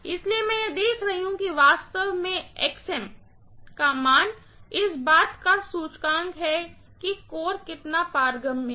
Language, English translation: Hindi, So, I am looking at this, actually this Xm value is an index of how permeable the core is, right